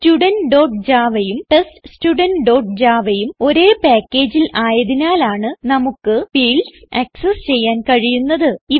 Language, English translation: Malayalam, We can access the fields because both Student.java and TestStudent.java are in the same package